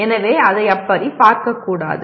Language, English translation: Tamil, So it should not be seen like that